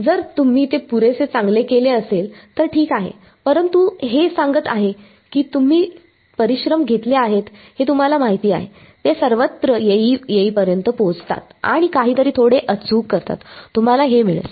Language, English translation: Marathi, If you have done that good enough right, but this is telling you that you know you have done all the hard work getting till they just go all the way and do something a little bit more accurate, you will get this